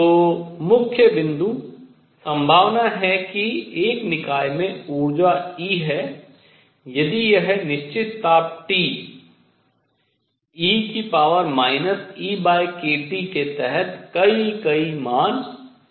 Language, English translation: Hindi, So, the main point is the probability that a system has energy E if it can take many, many values under certain temperature T is e raised to minus E by k T